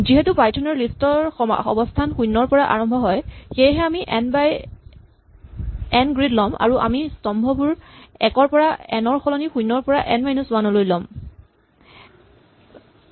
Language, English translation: Assamese, And since python numbers list position from 0 onwards we have an N by N grid and we number the columns not 1 to N, but 0 to N minus 1, so will have rows 0 to N minus 1 and columns 0 to N minus 1